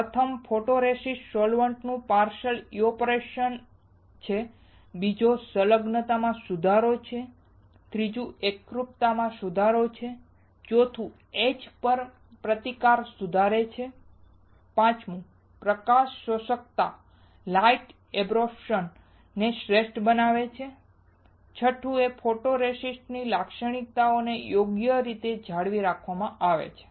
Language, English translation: Gujarati, First is partial evaporation of photoresist solvents, second is improvement of adhesion, third is improving uniformity, fourth is improve etch resistance, fifth is optimize light absorbance, sixth is characteristics of photoresist is retained right